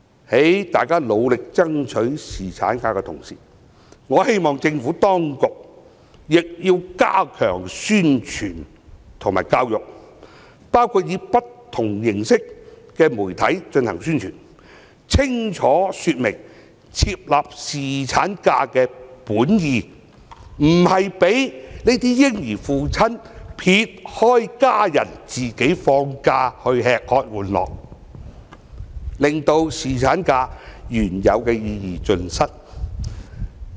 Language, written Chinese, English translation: Cantonese, 在大家努力爭取侍產假的同時，我希望政府當局亦要加強宣傳和教育，包括以不同形式的媒體進行宣傳，清楚說明設立侍產假的本意，不是讓這些嬰兒的父親撇開家人自己放假去"吃喝玩樂"，令侍產假的原有意義盡失。, Given the request for better paternity leave entitlement I hope that the Administration can also step up promotion and education through different media channels to clearly explain the intended purpose of providing paternity leave . It serves to remind that no fathers of newborn babies should only enjoy the holiday by having fun themselves and leave their family members in the lurch . This will definitely defeat the original purpose of paternity leave